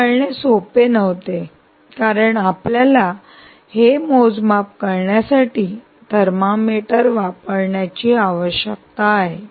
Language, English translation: Marathi, it wasnt easy to do this because you need to ah, use a thermometer, ah, ah thermometer to make this measurement